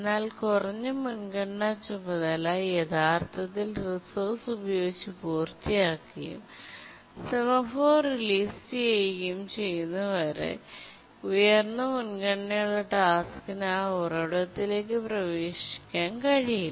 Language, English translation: Malayalam, But until the low priority task actually completes using the resource and religious the semaphore, the high priority task cannot access the resource